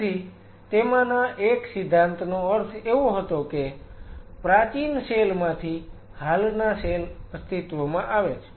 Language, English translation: Gujarati, So, one of the theories was means cell existing form preexisting cells